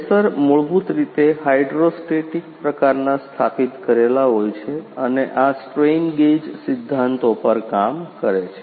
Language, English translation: Gujarati, Sensors are installs a basically hydro hydrostatic types and working on this strain gauge principles